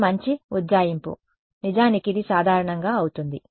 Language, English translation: Telugu, It is a good approximation, in fact it is commonly done ok